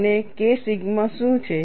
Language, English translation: Gujarati, And what is K sigma